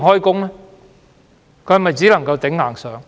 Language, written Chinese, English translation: Cantonese, 他們只能"頂硬上"。, They can only tough it out